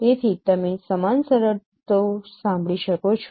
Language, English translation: Gujarati, So you can hear the similar terms